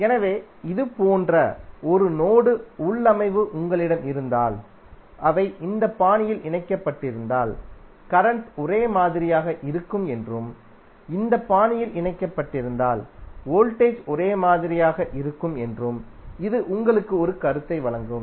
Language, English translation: Tamil, So this will give you an idea that if you have node configuration like this it means that the current will be same if they are connected in this fashion and voltage will be same if they are connected in this fashion